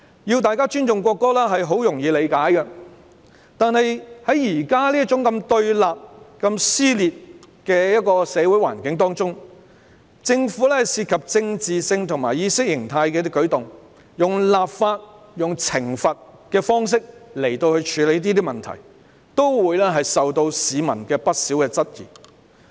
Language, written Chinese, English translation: Cantonese, 要大家尊重國歌，是很容易理解的，但在現時如此對立、撕裂的社會環境中，政府涉及政治及意識形態的舉動，以立法、懲罰的方式來處理問題，會受到市民不少質疑。, The call for respect for the national anthem is understandable . However in the present confrontational and divisive social environment if the Government makes any moves involving politics and ideology dealing with problems by legislation and punishment it will be called into question by members of the public